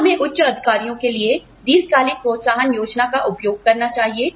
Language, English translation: Hindi, Should, we use, long term incentive plans, for senior executives